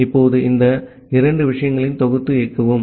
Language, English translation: Tamil, Now, let us compile and run this two things